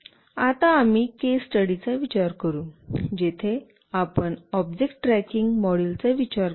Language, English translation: Marathi, Now, we will consider a case study, where we will consider an object tracking module